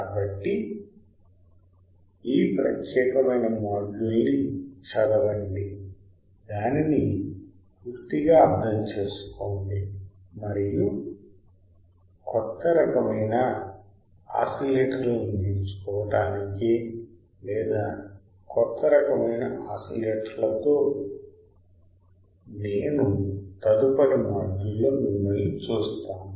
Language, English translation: Telugu, So, just go through this particular module, understand it thoroughly right and I will see you in the next module with a new kind of oscillators or new class of oscillators to learn